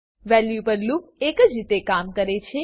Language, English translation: Gujarati, The loop on values works in a similar way